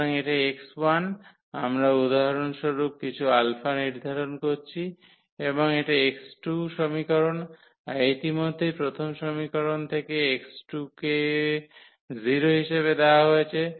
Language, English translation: Bengali, So, this x 1 we are assigning some alpha for instance and this x 2 equation that is already given from the first equation that x 2 is 0